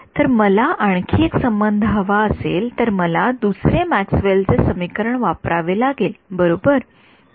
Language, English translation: Marathi, If I want one more relation, I need to use the second Maxwell’s equation right